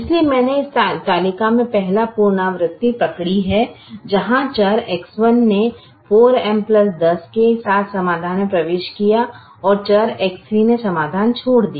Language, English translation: Hindi, so i capture the first alteration in the stable where variable x one enter the solution with four m plus ten, where variable x one enter the solution